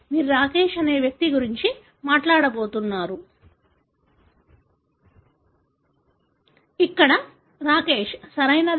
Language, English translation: Telugu, You are going to talk about the individual Rakesh, Here is Rakesh, right